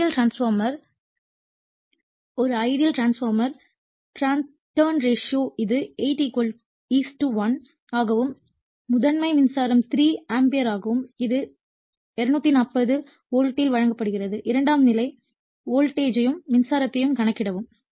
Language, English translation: Tamil, An ideal transformer it is turns ratio of 8 is to 1 and the primary current is 3 ampere it is given when it is supplied at 240 volt calculate the secondary voltage and the current right